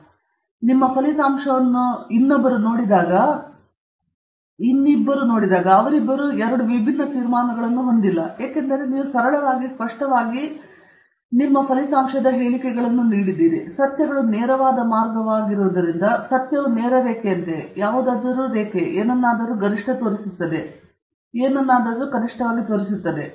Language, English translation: Kannada, Meaning, if I look at your results and somebody else looks at the result, they cannot have two different conclusions because you have simply stated a fact and the facts are as straight forward as that as something is a straight line, something is a curve, something shows a maximum, and something shows a minimum